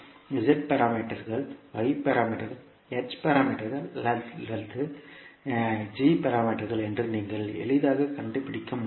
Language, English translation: Tamil, You can easily find out the parameters that maybe z parameters, y parameters, h parameters or g parameters